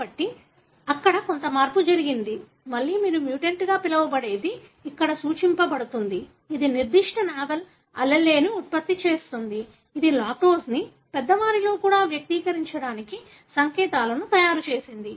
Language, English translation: Telugu, So, what happened was there was some change, again what you call as mutation that is denoted here, which produce certain novel allele which made this particular gene which codes for the lactase to express even in the adult